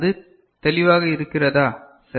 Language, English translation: Tamil, Is that clear right